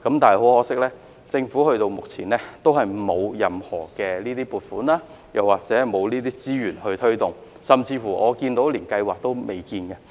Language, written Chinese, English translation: Cantonese, 但很可惜，政府直到目前也沒有任何撥款或資源推動，甚至連計劃也未有。, But most regrettably the Government has not allocated funding or resources to promote it and worse still there is not even a plan for it so far